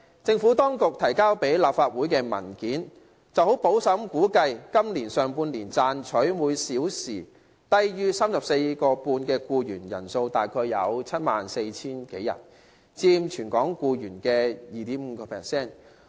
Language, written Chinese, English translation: Cantonese, 政府當局提交立法會的文件，十分保守地估計今年上半年賺取每小時工資低於 34.5 元的僱員人數約為 74,000 多人，佔全港僱員的 2.5%。, In the document submitted to this Council by the Administration a conservative estimate of the number of employees earning less than 34.5 per hour in the first half of this year will be around 74 000 accounting for 2.5 % of the total number of employees in Hong Kong